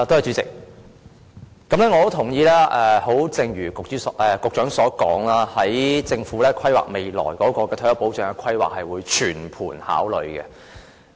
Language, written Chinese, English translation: Cantonese, 主席，我非常認同局長所說，在政府規劃未來退休保障時，是會作全盤考慮的。, President I agree very much with the Secretarys comment that when the Government plans for future retirement protection comprehensive consideration should be given